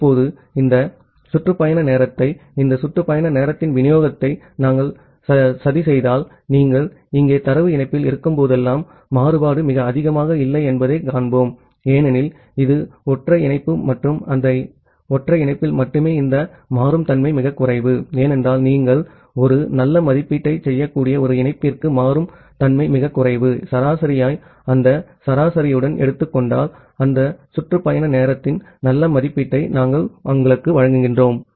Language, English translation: Tamil, Now, if we just plot this round trip time, the distribution of this round trip time, we will see that the variation is not very high whenever you are at the data link here because, it is just the single link and in that single link this dynamicity is very less because, the dynamicity is very less for a single link you can make a good estimation, if you take the average with that average we will give you a good estimation of that round trip time